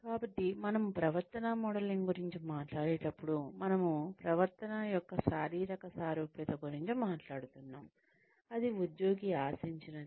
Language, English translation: Telugu, So, when we talk about behavior modelling, we are talking about physical similarity of the behavior, that is expected of the employee